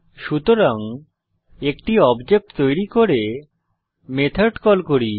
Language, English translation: Bengali, So let us create an object and call the method